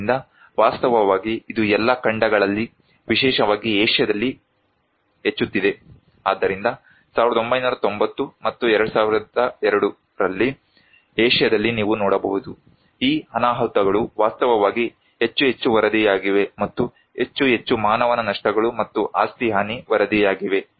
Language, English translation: Kannada, So, actually it is increasing in all continents particularly in Asia, so in 1990’s and 2002, you can see in Asia’s, these disasters are actually more and more reported and more and more human losses and property damage are reported